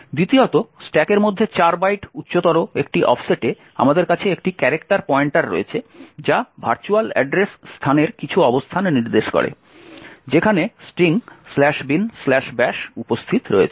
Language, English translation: Bengali, Secondly at an offset of 4 bytes higher in the stack we have a character pointer which points to some location in the virtual address space where the string slash bin slash bash is present